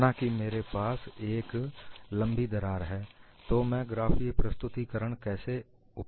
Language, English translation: Hindi, Suppose, I have a longer crack, how I can use the graphical representation